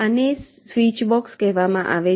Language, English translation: Gujarati, this is called a switch box